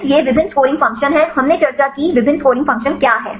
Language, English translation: Hindi, So, there is various scoring functions, we discussed what are the various scoring functions